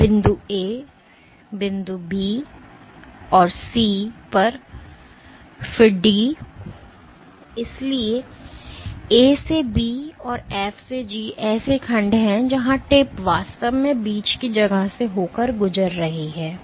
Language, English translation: Hindi, So, at point A, point B and C, then D, so A to B and F to G are sections where the tip is actually traveling through the intervening space